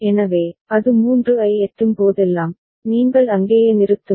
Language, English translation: Tamil, So, whenever it reaches 3, you stop there right